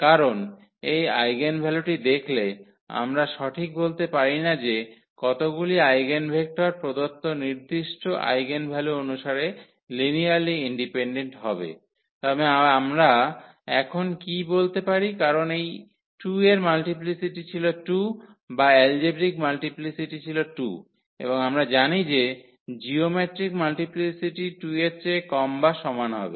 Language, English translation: Bengali, Because, looking at this eigenvalue we cannot just tell how many eigenvectors will be linearly independent corresponding to a given eigenvalue, but what we can tell now because the multiplicity of this 2 was 2 or the algebraic multiplicity was 2 and we know that the geometric multiplicity will be less than or equal to 2